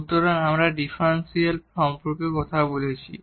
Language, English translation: Bengali, So, we are talking about the differential